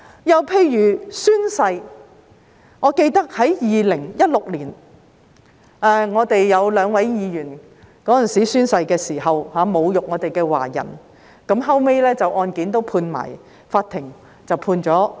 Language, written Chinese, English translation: Cantonese, 又例如宣誓，我記得在2016年，我們有兩位議員在宣誓時侮辱華人，後來法庭就有關案件判決我們勝訴。, Another example is the taking of oaths or affirmations . I remember that in 2016 two of our Members insulted Chinese people when taking an oath and an affirmation respectively and the Court later ruled in our favour in the case